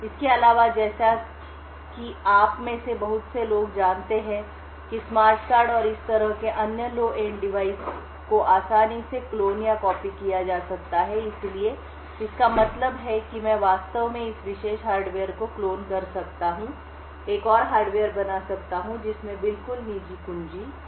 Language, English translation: Hindi, Further, as many of you would know smart cards and other such low end devices can be easily cloned or copied, So, this means that I could actually clone this particular hardware, create another hardware which has exactly the same private key